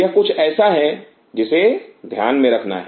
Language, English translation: Hindi, That is something one has to keep in mind